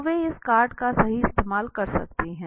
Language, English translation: Hindi, So they could use this card right